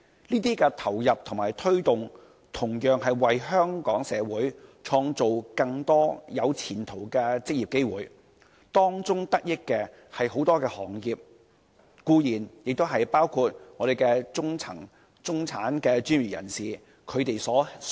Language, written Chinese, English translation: Cantonese, 這些投放和推動同樣為香港社會創造更多有前途的職業機會，惠及多個行業，也包括香港中層、中產專業人士。, These allocation and promotion have created more promising employment opportunities for the Hong Kong society bringing benefits to a large number of trades and industries including the middle - class and middle - level professionals